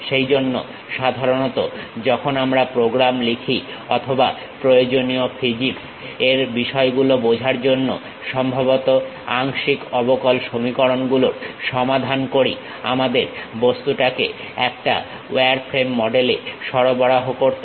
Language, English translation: Bengali, For that purpose, usually when we are writing programs or perhaps solving partial differential equations, to understand those essential physics issues we have to supply the object in a wireframe model